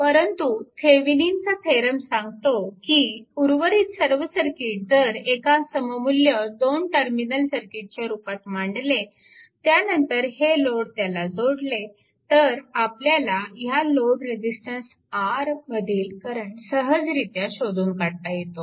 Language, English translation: Marathi, So, but Thevenin’s theorem suggests that if you if you just rest of the circuit, if you can bring it to an equivalent two terminal circuit, then after that you connect this one you can easily find out what is the current flowing through this load resistance R right